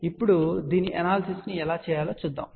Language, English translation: Telugu, So, now, let us see how do we do the analysis of this